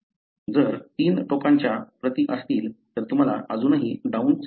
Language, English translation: Marathi, If there are three end copies, then you still have Down syndrome